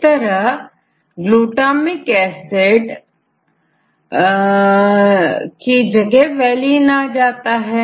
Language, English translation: Hindi, Valine; so we change to glutamic acid to valine